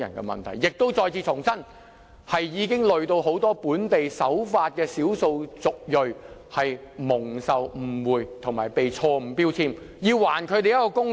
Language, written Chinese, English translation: Cantonese, 故此，我要再次重申，這問題連累很多本地守法的少數族裔，令他們飽受誤會和被錯誤標籤，所以要還他們一個公道。, Therefore I have to reiterate that the problem has affected many law - abiding people from ethic minority groups in which they are frequently misunderstood and wrongfully labelled . So we must do justice to them